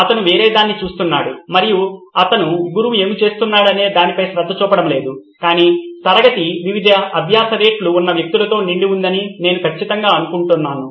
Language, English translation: Telugu, He is looking at something else and he is not paying attention to what the teacher is saying but I am sure the class is filled with people who have different learning rates